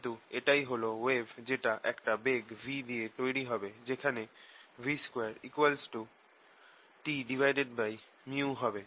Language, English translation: Bengali, this is the wave which will be going to be set up with ah speed square v, square t equal to mu